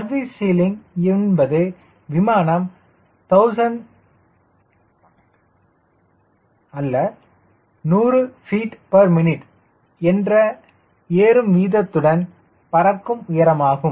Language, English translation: Tamil, service ceiling is that altitude at with rate of climb is hundred feet per minute